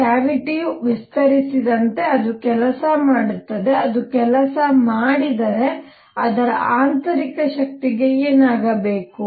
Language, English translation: Kannada, So, as the cavity expands, it does work, if it does work, what should happen to its internal energy